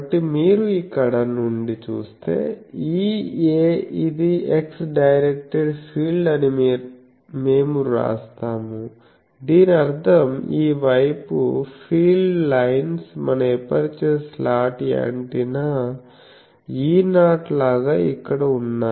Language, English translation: Telugu, So, we will write that E a that is x directed you see from here it is the x directed field, so that means, this side the fields lines are here just like our aperture a slot antenna E 0